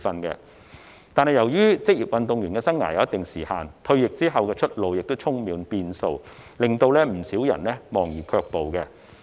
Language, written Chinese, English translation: Cantonese, 可是，由於職業運動員生涯有一定的時限，退役後的出路亦充滿變數，令到不少人望而卻步。, However given the particular limit of the career span and the uncertainty - ridden way forward after retirement many people shrink back from being professional athletes